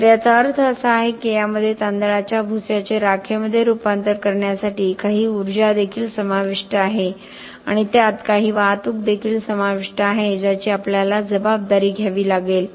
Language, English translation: Marathi, So, this means that this also involve some energy to convert the rice husk into ash it also involve some transportation which we have to account for